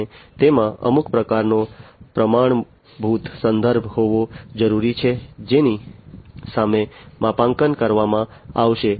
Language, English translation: Gujarati, And it is also required to have some kind of standard reference against which the calibration is going to be done